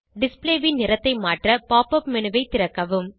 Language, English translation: Tamil, To change the color of display, open the Pop up menu